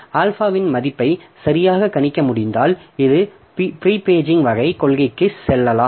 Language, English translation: Tamil, And if we can predict properly the value of alpha, then we can go for this prepaging type of policy